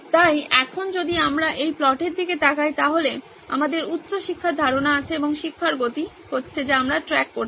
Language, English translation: Bengali, So now if we look at this plot we have a high learning retention and the pace of teaching is what we are tracking